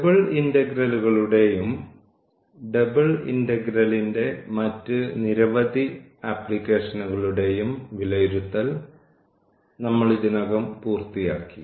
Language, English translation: Malayalam, So, we have already finished evaluation of double integrals and many other applications of double integral